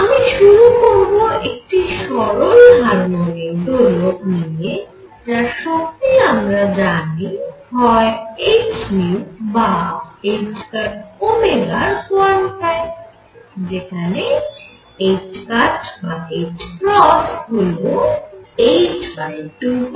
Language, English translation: Bengali, And let me start again with a simple harmonic oscillator for which I know that the energy comes in quantum of h nu or h cross omega, where h cross is h upon 2 pi